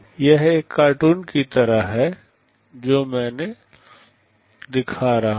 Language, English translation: Hindi, This is just like a cartoon I am showing